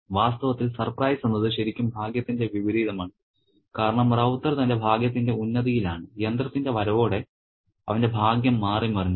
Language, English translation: Malayalam, In fact, the surprise is really a reversal of fortune because Ravta is at the height of his fortunes and with the arrival of the machine his fortune is reversed